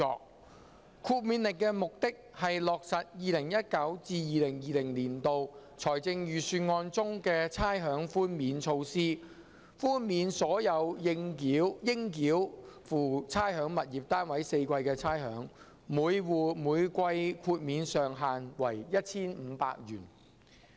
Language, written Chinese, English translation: Cantonese, 《2019年差餉令》的目的，是落實 2019-2020 年度財政預算案中的差餉寛免措施，豁免所有應繳付差餉物業單位4季的差餉，每戶每季豁免上限為 1,500 元。, The Rating Exemption Order 2019 aims to implement the rates concession measure of the 2019 - 2020 Budget to waive rates payable on all rateable tenements for the four quarters subject to a ceiling of 1,500 per quarter for each tenement